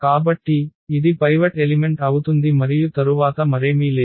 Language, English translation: Telugu, So, this is going to be the pivot element and then nothing else